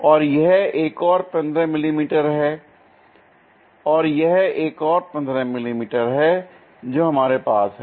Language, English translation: Hindi, And this is also another 15 mm and this one also another 15 mm what we are going to have